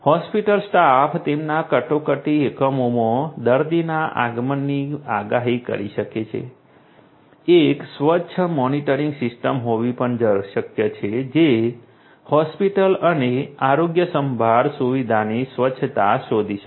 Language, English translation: Gujarati, Hospital staff can predict the arrival of a patient in their emergency units; it is also possible to have hygiene monitoring system which can detect the cleanliness of the hospital and the healthcare facility